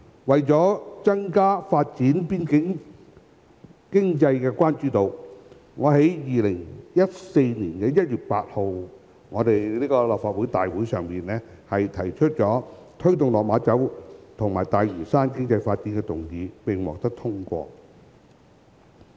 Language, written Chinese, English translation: Cantonese, 為增加發展邊境經濟的關注度，我於2014年1月8日立法會會議上提出"推動落馬洲及大嶼山的經濟發展"議案，並獲得通過。, Since then more concrete actions have been taken . To increase the level of concern for developing the economy of the border I proposed a motion on Promoting the economic development of Lok Ma Chau and Lantau Island at the Legislative Council meeting on 8 January 2014 and the motion was passed